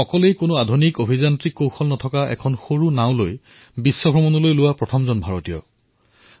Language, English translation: Assamese, He was the first Indian who set on a global voyage in a small boat without any modern technology